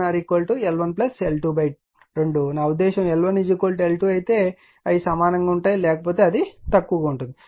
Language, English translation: Telugu, So, if l I mean it will be equal only when L 1 is equal to L 2 otherwise it is less than right